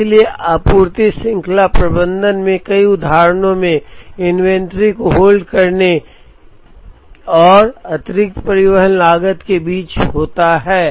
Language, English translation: Hindi, So, in several instances in supply chain management, the tradeoff is between holding inventory and additional transportation cost